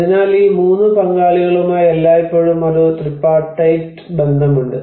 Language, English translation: Malayalam, So there is always a tripartite relationship with these 3 stakeholders